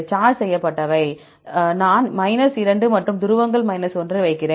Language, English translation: Tamil, For the charged ones I put 2 and the polar ones I put 1